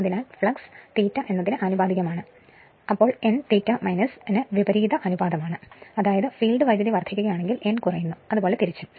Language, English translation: Malayalam, So, flux is proportional to I f; that means, n is inversely proportional to I f right; that means, if field current increases n decreases and vice versa